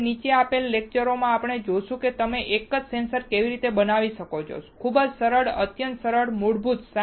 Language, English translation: Gujarati, Now, in following lectures we will see how you can fabricate a single sensor, very simple, extremely simple basic